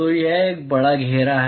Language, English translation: Hindi, So, it is a large enclosure